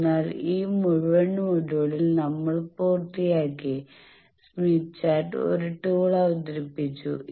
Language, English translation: Malayalam, So, we have completed in this whole module that the smith chart has a tool has been introduce